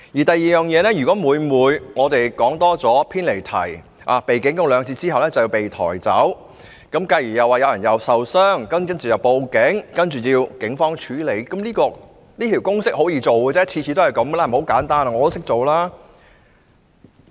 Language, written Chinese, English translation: Cantonese, 第二，如果每每只因為我們多說了幾句，或偏離議題，被主席警告兩次後，便要被抬走，繼而說有人受傷，又要報警請警方處理，跟這公式行事十分容易，每次都是這樣，十分簡單，我都識做。, Second if we speak a bit more or digress from the subject we will be warned twice by the President and carried away and then someone will claim they have sustained injuries and the matter will be reported to the Police for it to handle . Handling the matter in this formularized way is actually very easy . The same method is used every time and it is so simple that I can do it